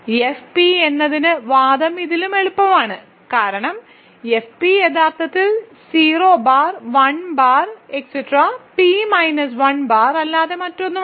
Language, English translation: Malayalam, The argument is even easier for F p, because F p is actually nothing but 0 bar, 1 bar, 2 bar up to p minus 1 bar, right